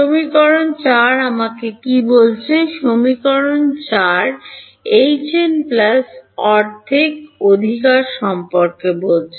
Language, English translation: Bengali, Equation 4 is telling me what; equation 4 is talking about H n plus half right